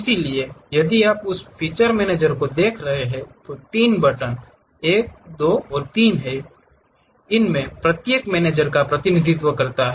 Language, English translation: Hindi, So, if you are looking at that feature manager there are 3 buttons, 1, 2, and 3, each one represents each of these managers